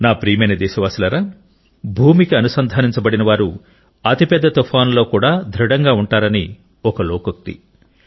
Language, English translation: Telugu, My dear countrymen, it is said here that the one who is rooted to the ground, is equally firm during the course of the biggest of storms